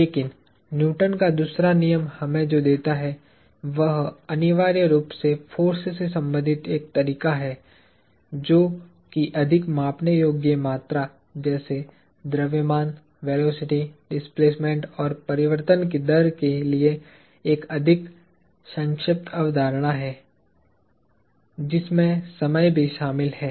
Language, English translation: Hindi, But, what Newton’s second law gives us is essentially a way of relating force, which is a more abstract concept to more measurable quantities such as mass, velocity, displacement and rate of change, which includes time